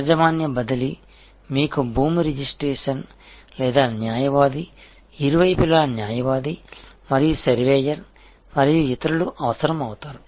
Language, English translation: Telugu, And the ownership transfer will you know involve land registry or lawyer, on both sides lawyer and surveyor and so on